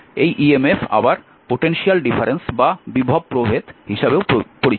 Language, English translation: Bengali, So, this emf is also known as the potential difference and voltage